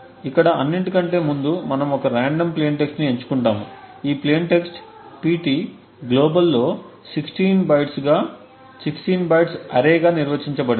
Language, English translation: Telugu, So, 1st of all over here we select some random plain text, this plain text pt is defined globally as an array of 16 bytes